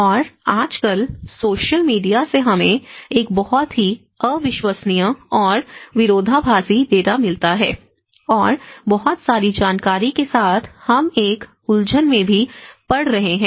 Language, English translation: Hindi, And nowadays, in the social media we are getting a very unreliable data, is difficult to say there are many much of contradicting data, with lot of information we are also getting into a confused state